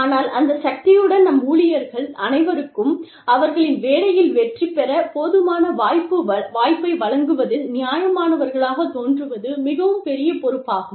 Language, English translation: Tamil, But, with that power, we also shoulder a very, very, big responsibility, of being fair, of appearing to be fair, to all our employees, of giving them, some enough chance to succeed in their work